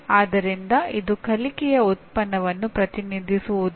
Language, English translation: Kannada, So it is not a does not represent the product of learning